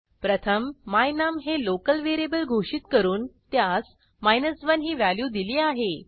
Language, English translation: Marathi, First I declare a local variable my num and assign the value of 1 to it